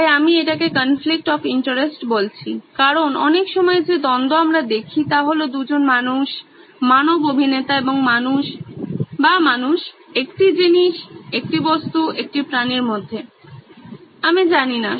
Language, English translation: Bengali, So I am calling it the conflict of interest because lots of times the conflict that we see is between 2 humans, human actors or between a human and a thing, an object, an animal, I don’t know